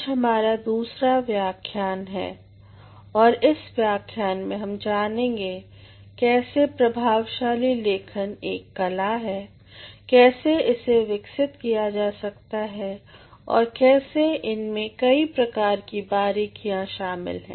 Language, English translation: Hindi, Today we are going to have the second lecture, and the second lecture comprises how effective writing is an art, how it can be developed, how there are different nuances involved in it